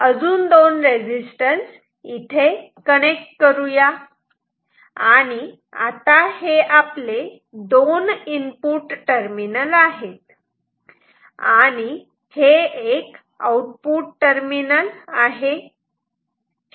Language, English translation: Marathi, Put two more resistances and then this two will become our input this will become our output